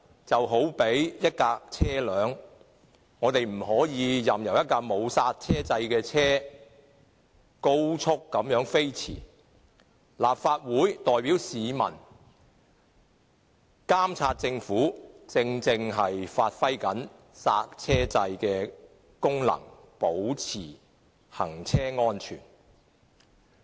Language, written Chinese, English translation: Cantonese, 這有如一輛汽車，我們不能任由一輛沒有剎車掣的車高速飛馳，而立法會代表市民監察政府，正正就是發揮剎車掣的功能，為要確保行車安全。, The analogy of a car applies here . We cannot allow a car without a brake system to dash at high speed . The Legislative Council which monitors the Government on behalf of the public is rightly serving the function of the brake system of a car being to ensure that the car is running safely